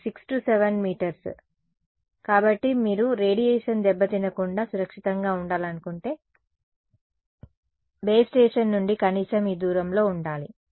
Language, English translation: Telugu, Some 6 7 meters; so, if you want to be safe from radiation damage to yourselves should be at least this distance away from a base station